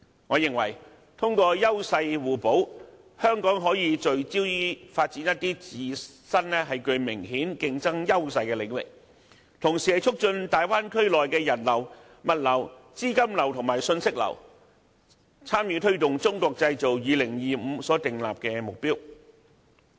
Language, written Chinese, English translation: Cantonese, 我認為通過優勢互補，香港可以聚焦發展一些自身具明顯競爭優勢的領域，同時促進大灣區內的人流、物流、資金流和信息流，參與推動《中國製造2025》所訂立的目標。, I think that through complementarity of edges Hong Kong can focus on developing in areas where it has obvious edges and at the same time promote the flow of people goods capital and information in the Bay Area and help attain the targets set in the Made in China 2025